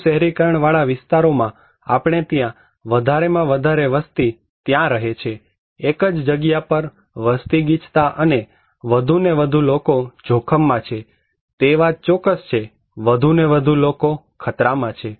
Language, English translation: Gujarati, More urbanized area we are having more and more populations are living there, concentrated in one pocket and more and more people are at risk, that is for sure, more and more people are exposed